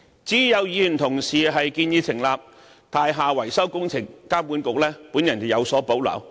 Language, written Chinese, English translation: Cantonese, 至於有議員建議成立"樓宇維修工程監管局"，我則有所保留。, As regards a Members proposal for setting up a building maintenance works authority I have reservations